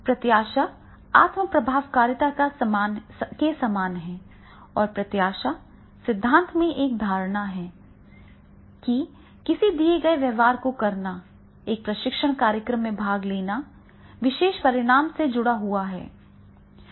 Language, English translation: Hindi, Expectancy is similar to self efficacy and in expectancy theory, a belief that performing a given behavior attending a training program is associated with a particular outcome